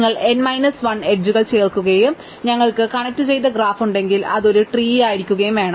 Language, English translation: Malayalam, Remember that if you add n minus 1 edges and we have a connected graph, it must be a tree